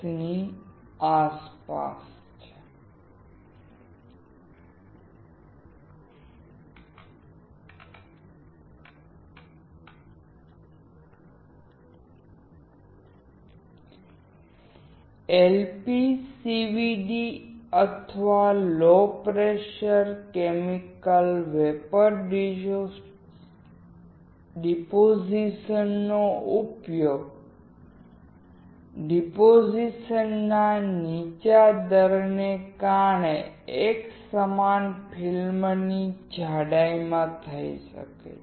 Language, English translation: Gujarati, LPCVD or low pressure chemical vapor deposition can be used in uniform film thickness because of the low deposition rate